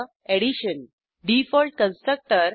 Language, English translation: Marathi, ~Addition Default Constructor